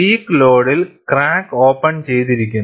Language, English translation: Malayalam, At the peak load, the crack is open